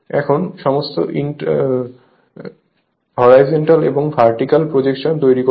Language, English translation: Bengali, Now, you make all horizontal and vertical projection